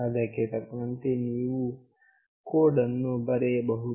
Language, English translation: Kannada, Accordingly you can have the code written